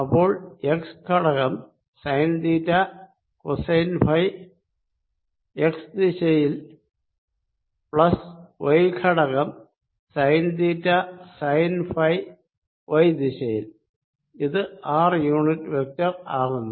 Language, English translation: Malayalam, so x component is sine theta, cosine of phi in the x direction, plus y component is going to be sine theta, sine of phi in the y direction